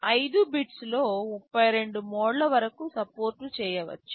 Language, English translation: Telugu, In 5 bits you can support up to 32 modes